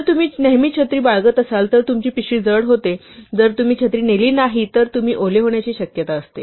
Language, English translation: Marathi, If you carry the umbrella all the time then your bag becomes heavy, if you do not carry the umbrella ever, then you risk the chance of being wet